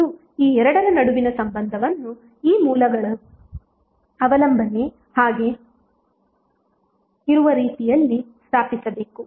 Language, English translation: Kannada, And the relationship these two should be stabilize in such a way that the dependency of these sources is intact